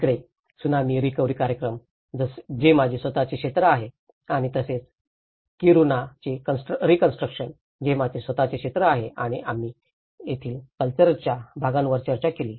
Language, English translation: Marathi, So that is where the tsunami recovery programs, which is my own areas and also we did discussed about the rebuilding of Kiruna which is also my own area and that we discussed in the culture part of it